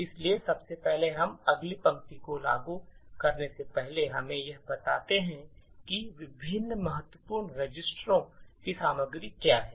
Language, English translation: Hindi, So, first of all before we invoke the next line let us print what are the contents of the various important registers